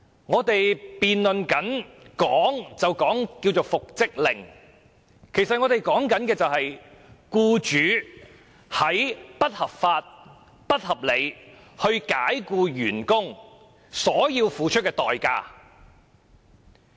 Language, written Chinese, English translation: Cantonese, 我們辯論的所謂復職令，其實是關於僱主不合理及不合法地解僱員工所須付出的代價。, The so - called reinstatement order now under discussion is actually the price that should be paid by an employer for dismissing his employees unreasonably and unlawfully